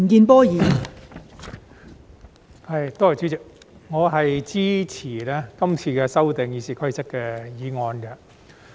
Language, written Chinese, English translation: Cantonese, 代理主席，我支持今次修訂《議事規則》的議案。, Deputy President I support this motion proposed to amend the Rules of Procedure RoP